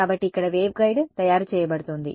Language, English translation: Telugu, So, here the waveguide is being made